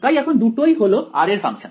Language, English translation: Bengali, So, even J is a function of r